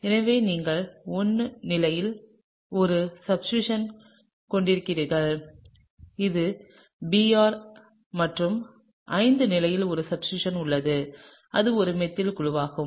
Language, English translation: Tamil, So, you have a substituent at the 1 position which is the Br and a substituent at the 5 position which is a methyl group, okay